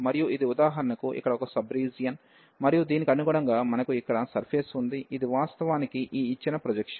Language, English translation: Telugu, And this consider for example, one sub region here and these corresponding to this we have the surface here, which is actually the projection given by this one